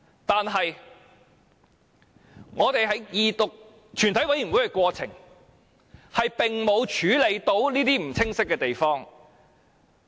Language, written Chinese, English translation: Cantonese, 但是，我們在二讀及全體委員會的過程中，並未能處理這些不清晰的地方。, Nevertheless during the Second Reading and Committee stage we are unable to deal with these unclear matters